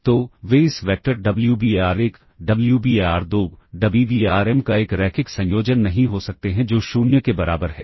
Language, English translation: Hindi, So, they cannot be a linear combination of this vectors Wbar1, Wbar2, Wbarm that equals 0